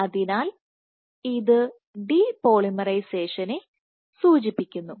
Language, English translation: Malayalam, So, this signifies the depolymerization